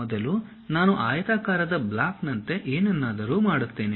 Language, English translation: Kannada, First I will make something like a rectangular block